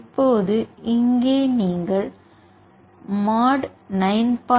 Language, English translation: Tamil, Now here you can use the command mod 9